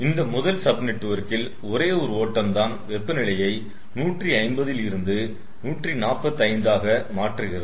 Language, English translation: Tamil, so in this first sub network there is only one stream that is changing its temperature from one fifty to one forty five